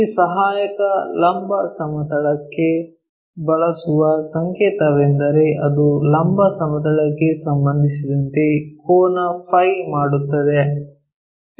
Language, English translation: Kannada, The notation what we use for this auxiliary vertical plane is it makes an angle phi with respect to vertical plane